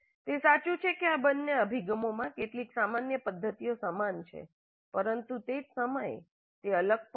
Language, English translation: Gujarati, It is true that both these approaches share certain common methodologies but at the same time they are distinct also